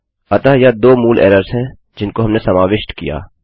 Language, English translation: Hindi, So thats two basic errors that we have covered